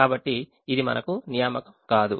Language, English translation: Telugu, we did not make an assignment